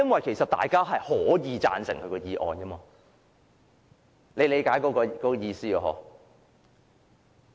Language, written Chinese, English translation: Cantonese, 其實大家是可以贊成他的議案的，大家理解我的意思嗎？, In fact we can support his motion . Do Members understand the point I am trying to put across?